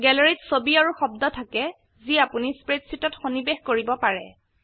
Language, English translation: Assamese, Gallery has image as well as sounds which you can insert into your spreadsheet